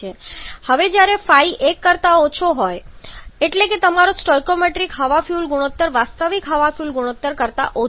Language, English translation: Gujarati, Now when the Phi is less than 1, Phi less than 1 means your stoichiometric air fuel ratio is less than the actual air fuel ratio